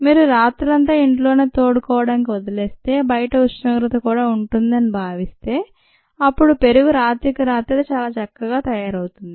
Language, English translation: Telugu, if you live it over night at home, assuming that the outside temperature is reasonable, then curd forms over night very nicely